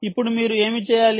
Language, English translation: Telugu, all right, now what you should do